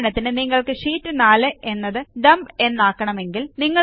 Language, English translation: Malayalam, Now for example, if we want to rename Sheet 4 as Dump